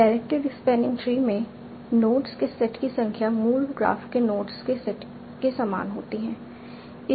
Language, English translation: Hindi, In the directed spanning tree, the number of the set of nodes are the same as a set of nodes in the original graph